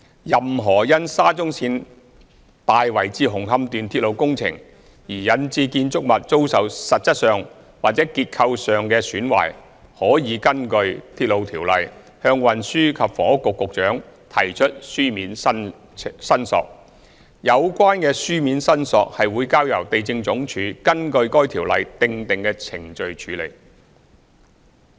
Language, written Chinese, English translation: Cantonese, 任何因沙中線大圍至紅磡段鐵路工程而引致建築物遭受實質上或結構上的損壞，可根據《鐵路條例》向運輸及房屋局局長提出書面申索，有關書面申索會交由地政總署根據該條例訂定的程序處理。, 519 any person suffering loss from material or structural damage of building due to railway works of the Tai Wai to Hung Hom Section of SCL may submit written claims to the Secretary for Transport and Housing . The relevant claims will then be handled by the Lands Department in accordance with the procedures stipulated in the Railway Ordinance